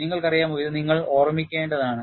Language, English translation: Malayalam, You know, this you have to keep in mind